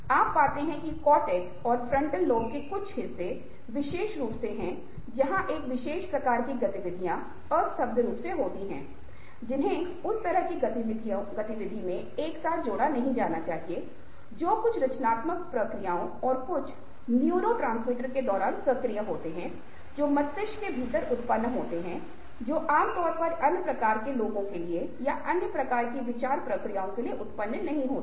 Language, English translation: Hindi, so you find that, ah, certain parts of the context, ok, and ah, frontal lobe especially, is where the activities of a special kind take place, to unconnected apparently, which are not supposed to be linked together in that kind of activity, are activated during some of the creative processes and certain neurotransmitters are generated within the brain ah, which generally for other kinds of people or for other kinds of thought processes are not generated